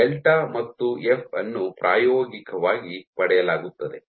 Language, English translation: Kannada, So, delta and F are experimentally obtained